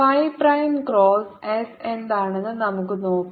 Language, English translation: Malayalam, let us see what phi prime cross s is